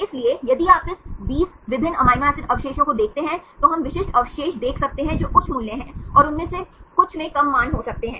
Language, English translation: Hindi, So, if you look into this 20 different amino acid residues we can see specific residues which are high values and some of them may have less values